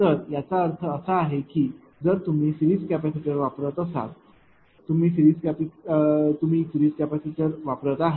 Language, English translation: Marathi, So, whenever when I suppose with series capacitor say with series capacitor